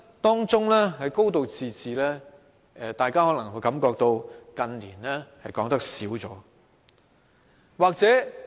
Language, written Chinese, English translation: Cantonese, 當中的"高度自治"，大家近年可能會感到說少了。, However we may find that the expression a high degree of autonomy has not been mentioned frequently in recent years